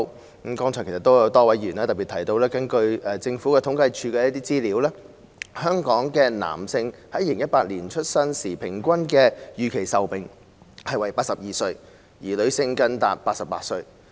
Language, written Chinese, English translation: Cantonese, 正如剛才多位議員特別提到，根據政府統計處的資料，在2018年，香港男性的出生時預期平均壽命為82歲，而女性更達88歲。, As a number of Members have particularly pointed out earlier on according to the information of the Census and Statistics Department in 2018 the expectation of life at birth for males was 82 whereas that for females was even 88 in Hong Kong